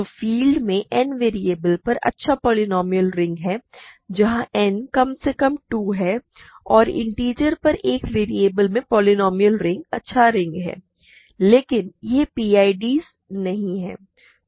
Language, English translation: Hindi, So, these are nice rings polynomial rings over in n variables over a field where n is at least 2 and polynomial ring in one variable over the integers are not are nice rings, but they are not PIDs ok